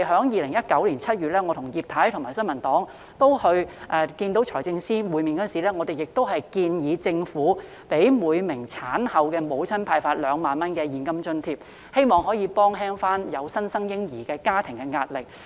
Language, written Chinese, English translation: Cantonese, 2019年7月，我、葉太及新民黨成員與財政司司長會面時，曾建議政府向每名產後婦女派發2萬元現金津貼，希望減輕有新生嬰兒的家庭的壓力。, In July 2019 when Mrs IP members of the New Peoples Party and I met with the Financial Secretary we proposed that the Government should distribute 20,000 cash allowance to each woman in the postnatal period with a view to reducing the pressure of families with newborns